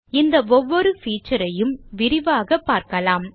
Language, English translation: Tamil, We will look into each of these features in detail